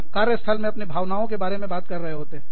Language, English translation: Hindi, We are talking about, our emotions in the workplace